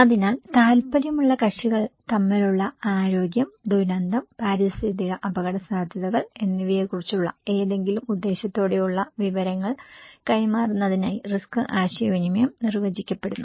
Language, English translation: Malayalam, So risk communication is defined as any purposeful exchange of information about health, disaster, environmental risks between interested parties